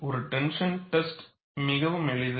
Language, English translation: Tamil, A tension test is very simple